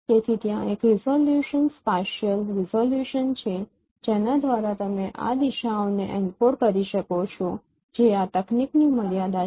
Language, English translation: Gujarati, So there is a resolution, spatial resolutions by which you can encode this directions